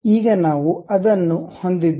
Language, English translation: Kannada, Now, we have that